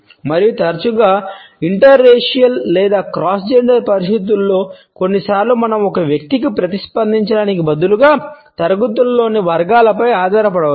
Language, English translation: Telugu, And often in interracial or cross gender situations sometimes we may tend to rely upon categories in classes instead of responding to an individual